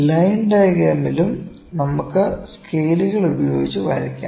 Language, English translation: Malayalam, In line diagram also we can cheat with the scales